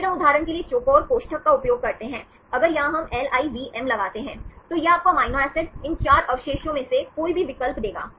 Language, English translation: Hindi, Then we use the square brackets for example, if here we put L I VM, this will give you the choice of amino acids, any of these 4 residues